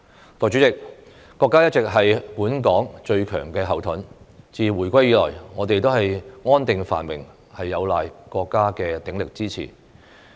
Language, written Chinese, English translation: Cantonese, 代理主席，國家一直是本港的最強後盾，自回歸以來，我們的安定繁榮有賴國家的鼎力支持。, Deputy President our country has always been the strongest backing for Hong Kong . Since the return of Hong Kong to the Motherland our stability and prosperity have depended on the strong support of our country